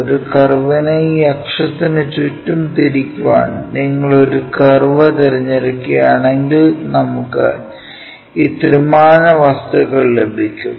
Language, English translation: Malayalam, So, you pick a curve rotate that curve around an axis, then we will get this three dimensional objects